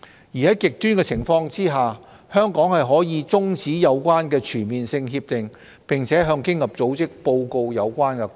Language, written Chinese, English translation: Cantonese, 而在極端情況下，香港可以中止有關的全面性協定，並向經濟合作與發展組織報告有關個案。, In extreme cases Hong Kong can terminate the relevant CDTA and bring the case to the Organisation for Economic Co - operation and Development